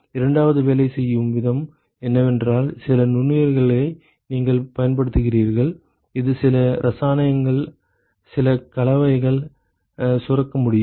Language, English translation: Tamil, So, the way the second one works is you use some of the microorganisms which can secrete some chemicals, some compounds it can secrete